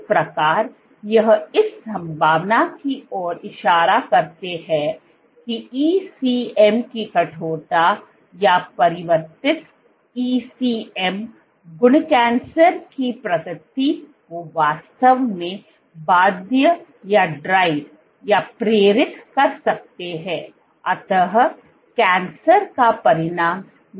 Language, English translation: Hindi, So, these kind of point to the possibility that ECM stiffness or increase altered ECM properties may actually drive slash induce cancer progression and not be a consequence of cancer